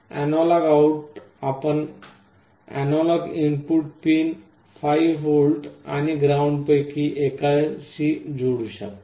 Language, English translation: Marathi, The analog out you can connect to one of the analog input pins and 5 volts and ground